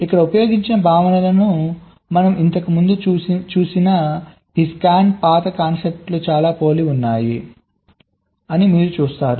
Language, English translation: Telugu, so you see that the concepts which are used here are very similar to this scan path concept that we had seen just earlier